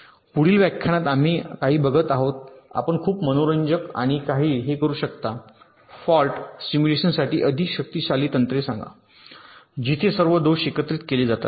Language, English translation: Marathi, in the next lecture we shall be looking at a couple of ah you can very interesting and ah, you can say, more powerful techniques for fault simulation, where all the faults are simulated together